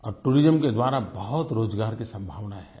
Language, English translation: Hindi, There are many employment opportunities created by tourism